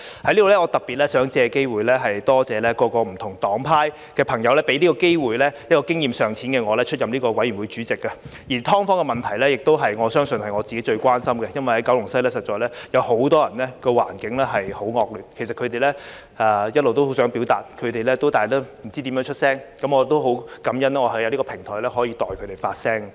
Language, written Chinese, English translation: Cantonese, 在此，我特別想借機會多謝各不同黨派給這個機會，讓經驗尚淺的我出任法案委員會主席，而"劏房"的問題亦相信是我自己最關心的，因為在九龍西實在有很多人所處環境很惡劣，其實他們一直都很想表達，但不知道怎樣發聲，我很感恩能在這個平台代他們發聲。, Here I would particularly like to take this opportunity to thank various political parties and groupings for giving me the opportunity to be Chairman of the Bills Committee . The issue of subdivided units is my greatest concern because many people in Kowloon West are really living in appalling conditions and actually have always wanted to voice their minds but do not know how . I feel very grateful for being able to speak out on their behalf on this platform